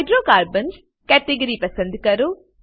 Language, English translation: Gujarati, Select Hydrocarbons category